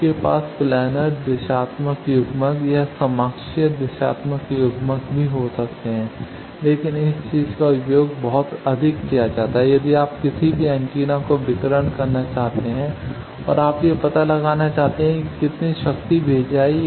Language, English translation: Hindi, You can also have planar directional couplers or coaxial directional couplers, but this thing is heavily used if you want to have any antenna radiating and you want to find out how much power it is sending